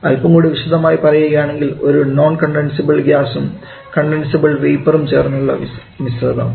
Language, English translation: Malayalam, I should say we have to talk about a mixture of a non condensable gas and condensable vapour